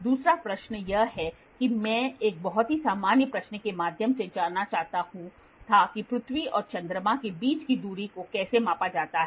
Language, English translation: Hindi, Second question is I just wanted to through a very very generic question how is the distance between earth and moon measured